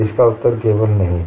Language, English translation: Hindi, The answer is only no